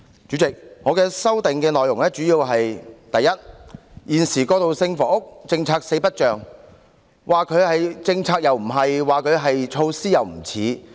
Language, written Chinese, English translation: Cantonese, 主席，我的修正案的主要內容是：第一，現時過渡性房屋政策四不像，說它是政策又不是，說它是措施也不像。, President the main contents of my amendment are First the present transitional housing policy is neither fish nor fowl; nor is it can be regarded as a policy or a measure